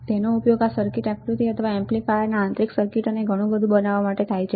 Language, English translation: Gujarati, It is used to design this circuit diagrams or the internal circuit of the amplifiers and lot more